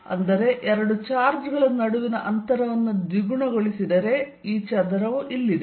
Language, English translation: Kannada, That means, if the distance between two charges doubled, because of this square out here